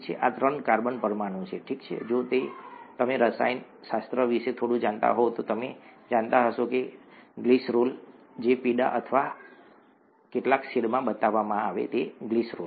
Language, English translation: Gujarati, This is a three carbon molecule, okay, if you know a bit of chemistry you would know this is glycerol, the one that is shown in yellow or some shade of yellow there, is glycerol